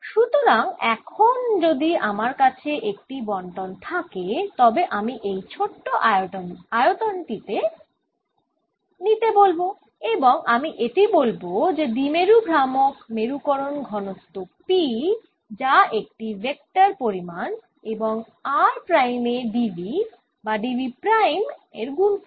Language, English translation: Bengali, let's take this small volume and i just said that the dipole moment of this is going to be the polarization density: p, which is a vector quantity times d v at r prime d v prime